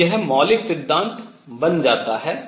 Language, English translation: Hindi, So, this becomes the fundamental principle